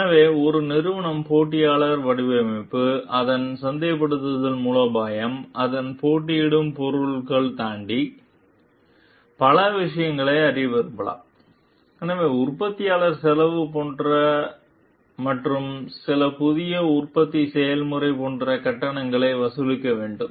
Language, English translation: Tamil, So, a company may wish to benchmark to learn for many things like, beyond the competitors design, its marketing strategy, its competing products; so, like cost of manufacturer and to charge like with some new manufacturing process